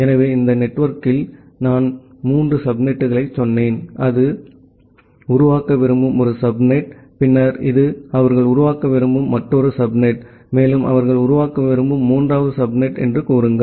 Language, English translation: Tamil, So, inside this network I have say three subnets; this is one subnet that they want to create, then this is another subnet that they want to create, and say a third subnet that they want to create